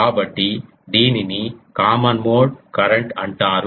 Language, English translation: Telugu, So, that is called common mode current